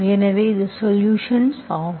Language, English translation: Tamil, So this is what is the solution